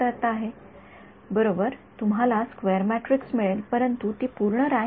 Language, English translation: Marathi, Right you will get a square matrix, but it is not full rank